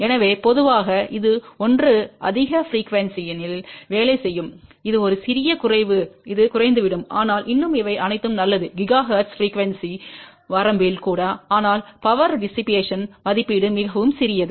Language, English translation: Tamil, So, in general this one will work at a higher frequency this one little lower this will lower, but still these are all good even in the gigahertz frequency range but the power dissipation rating is very very small